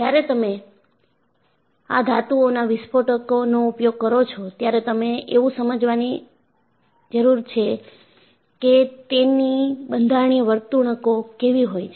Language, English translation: Gujarati, So, when you have an explosive use of these metals, you need to understand, what is their structural behavior